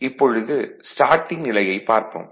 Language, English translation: Tamil, So, now we will see the Starting right